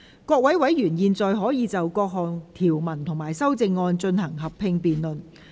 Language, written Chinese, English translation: Cantonese, 各位委員現在可以就各項條文及修正案，進行合併辯論。, Members may now proceed to a joint debate on the clauses and the amendments